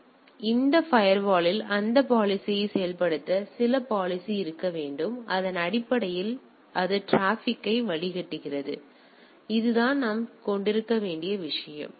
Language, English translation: Tamil, So, there should be some policy some implementation of that policies in this firewall by based on which it filters the traffic right; so, that that is the thing we need to have